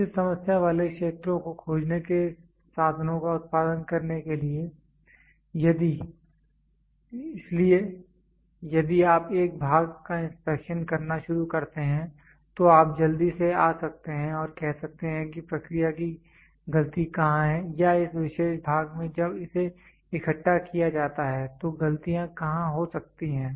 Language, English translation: Hindi, To produce the means finding a proper problem areas; so, if you start inspecting a part then you can quickly come and say where is the process mistake or in this particular part when it is assembled where can the mistakes happen